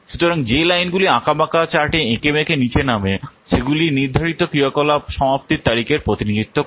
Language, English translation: Bengali, The lines mendering down the chart represent the schedule activity completion dates